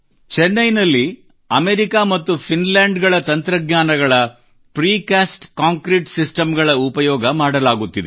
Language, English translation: Kannada, In Chennai, the Precast Concrete system technologies form America and Finland are being used